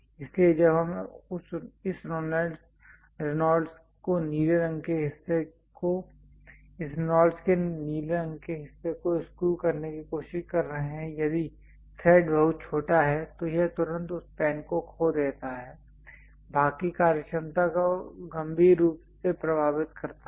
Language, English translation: Hindi, So, when you are trying to screw this Reynolds ah pen the blue color part, if the thread is too small it immediately loses that pen and the functionality of the part severely affects